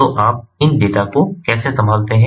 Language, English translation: Hindi, so how do you handle these data